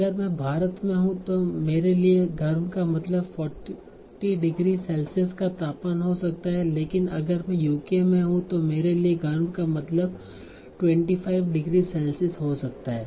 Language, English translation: Hindi, So if I am in India, for me warm may mean a temperature of probably 40 degrees Celsius, but if I am in UK or Europe, for me, warm might mean 25 degrees Celsius